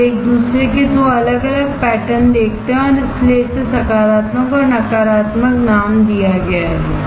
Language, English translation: Hindi, You see absolutely two different patterns of each other and that is why it is named positive and negative